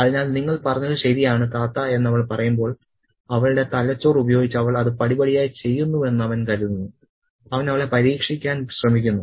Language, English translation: Malayalam, So, when she says that your correct Tata, he understands that she is doing it, you know, a step by step using her own brain and he tries to test her